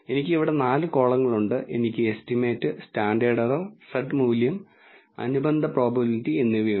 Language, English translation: Malayalam, I have 4 columns here I have the estimate, standard error, the z value and the associated probability